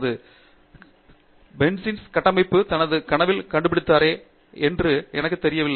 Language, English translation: Tamil, I do not know if you know Kekule discovered the Benzene structure in his dream, right